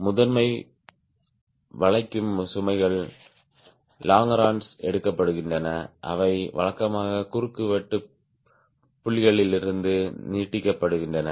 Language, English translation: Tamil, primary bending loads are taken by the longerons, which usually extend from across several points of support